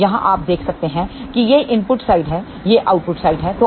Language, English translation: Hindi, So, here you can see these are the input side, these are the output side